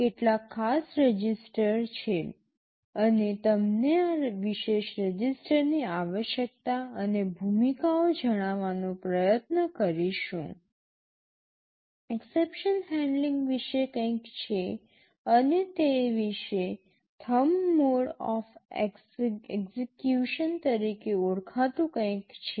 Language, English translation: Gujarati, There are some special registers, we shall be trying to tell you the necessity and roles of these special register; something about exception handling and there is something called thumb mode of execution also very briefly about that